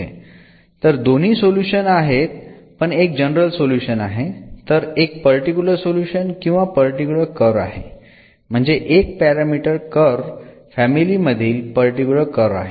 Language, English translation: Marathi, So, both have the solutions, but one is the general solution the other one is the particular solution or particular a curve out of this family of one parameter curves